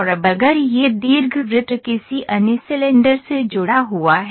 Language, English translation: Hindi, And now if you so, called this ellipse is attached to some other cylinder